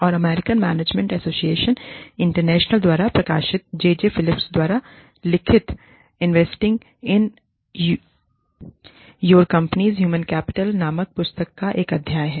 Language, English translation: Hindi, And, there is a chapter, a book chapter by, a book written by, J J Phillips, called, Investing in Your Company's Human Capital, published by, American Management Association International